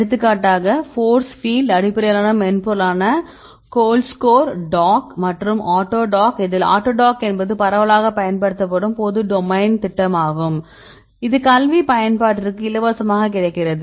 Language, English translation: Tamil, For example force field based software the GoldScore, the DOCK and AutoDock right autodock is the widely used public domain program that is available for free in the academic usage